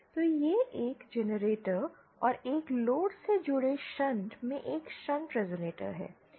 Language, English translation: Hindi, So this is a shunt resonator in shunt connected to a generator and a load